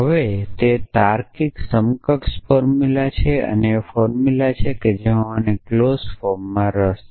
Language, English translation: Gujarati, So, that is the logically equivalent formula now I have the formula that I have been interested in clause form